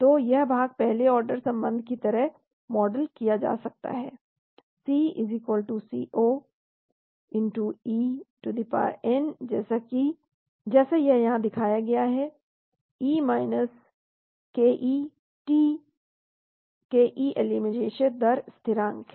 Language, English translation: Hindi, Now this portion can be modeled as a first order relationship C=C0 e , as it is shown here e ke t, ke is the elimination rate constant